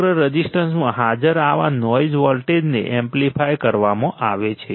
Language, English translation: Gujarati, Such noise voltages present across the resistance are amplified right